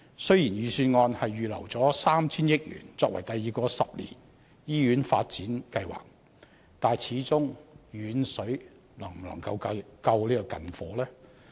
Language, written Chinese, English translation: Cantonese, 雖然預算案預留 3,000 億元予第二個十年醫院發展計劃，但始終遠水能否救近火？, Even though 300 billion is set aside in the Budget for the second ten - year hospital development plan can this distant water be used to put out a nearby fire?